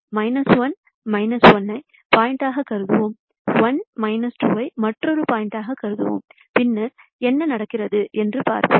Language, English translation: Tamil, So, let me consider minus 1 minus 1 as one point, let us also consider 1 minus 1 as another point and let us consider 1 minus 2 as another point and then see what happens